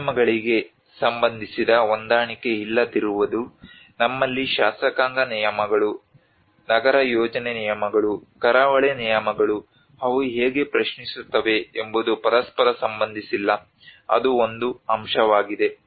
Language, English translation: Kannada, Mismatches regarding the norms: when we have the legislative norms, urban planning norms, coastal regulations how they enter do not relate to each other that is one aspect